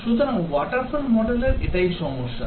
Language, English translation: Bengali, So, that is a problem with the water fall model